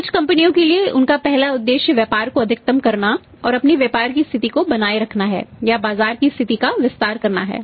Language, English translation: Hindi, When some companies their first objective is to maximize the market and retain their market position or expand the market position